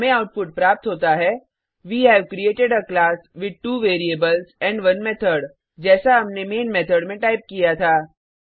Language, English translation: Hindi, We get the output as: We have created a class with 2 variables and 1 method just as we had typed in the main method